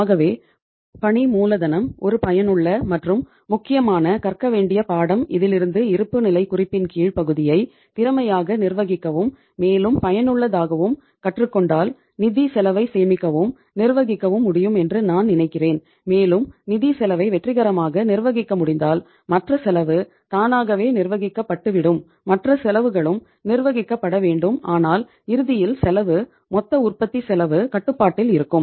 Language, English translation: Tamil, So working capital is such a say say useful and important subject to learn that if we are able to manage our lower part of balance sheet efficiently and say more usefully then I think to a larger extent we can save and manage our financial cost and if you are able to manage the financial cost successfully automatically the other cost will also have to be managed but ultimately the cost, total cost of production will be under control